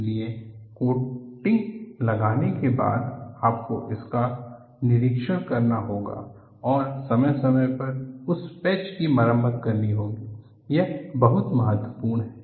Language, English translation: Hindi, So, after putting the coating, you have to inspect it and periodically repair those patches, it is very important